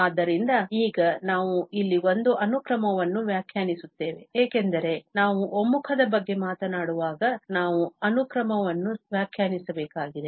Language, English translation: Kannada, So, now, we will define here a sequence, because when we are talking about the convergence, we need to define a sequence